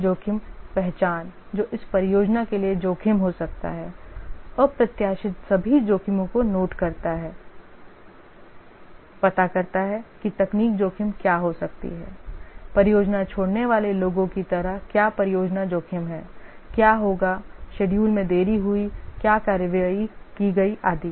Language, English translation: Hindi, Notes down all the risks anticipates, finds out what technical risks can be there, what project risks like people leaving the project, what will happen Schedule delayed, what actions to take and so on